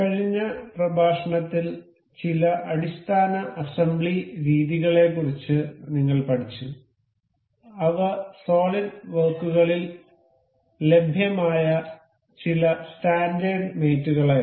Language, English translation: Malayalam, In the last lecture, we learned about some basic assembly methods that were some standard mates available in solid works